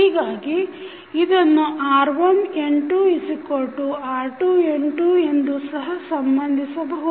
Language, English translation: Kannada, So, using this you can correlate that r1N2 is equal to r2N1